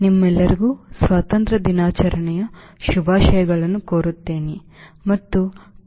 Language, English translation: Kannada, i wish you all belated happy independence day